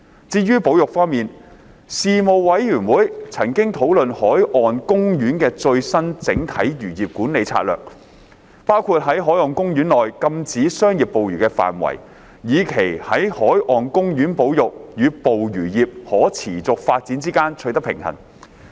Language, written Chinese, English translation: Cantonese, 至於保育方面，事務委員會曾討論海岸公園的最新整體漁業管理策略，包括在海岸公園內禁止商業捕魚的範圍，以期在海岸公園保育與捕魚業可持續發展之間取得平衡。, As regards conservation the Panel discussed the updated holistic fisheries management strategy in marine parks including the scope of commercial fishing ban imposed in marine parks with a view to striking a balance between the conservation of marine parks and the sustainable development of the fisheries industry